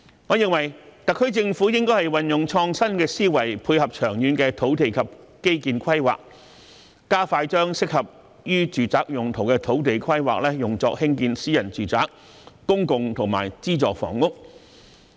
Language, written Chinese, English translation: Cantonese, 我認為，特區政府應該運用創新思維，配合長遠的土地及基建規劃，加快把適合用於住宅用途的土地規劃作興建私人住宅、公共及資助房屋。, In my opinion the SAR Government should adopt an innovative thinking to complement its long - term land use and infrastructure planning and expeditiously undertake planning for the construction of private public and subsidized housing on lands suitable for residential purposes